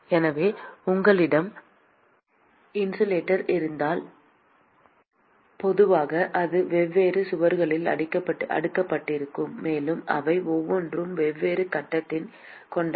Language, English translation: Tamil, So, supposing if you have an insulator usually it is stacked with different walls; and each of them have different conductivities